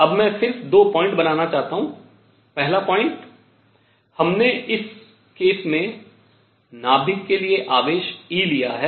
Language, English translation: Hindi, Now I just want to make 2 points; number 1; we took nucleus in this case to have charge e